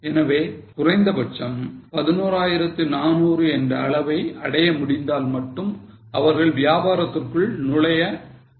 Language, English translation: Tamil, So, they would like to enter the business only if they can at least reach 11,400